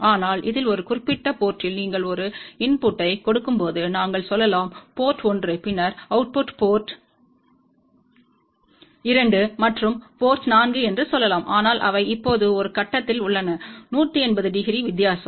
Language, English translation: Tamil, But in this particular case we can design in such a way that when you give a input at 1 port, let us say port 1 ok then the output goes to let us say port 2 and port 4, but they are now at a phase difference of 180 degree